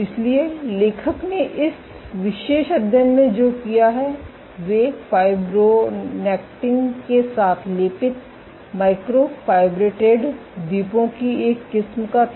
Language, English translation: Hindi, So, what the author is did in this particular study was they took a variety of shapes of microfabricated islands coated with fibronectin